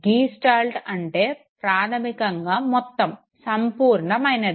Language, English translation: Telugu, Gestalt basically means whole, complete